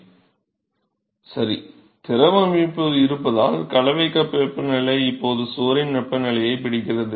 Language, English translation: Tamil, Right, because the fluid is now so, the mixing cup temperature is now catching up with the temperature of the wall